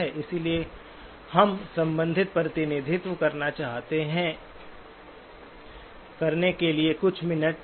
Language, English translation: Hindi, So we spend a few minutes just to get the relevant representation